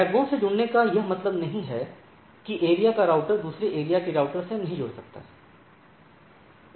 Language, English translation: Hindi, This connecting to the backbone does not mean that the area the routers in the area cannot connect to the routers in the other area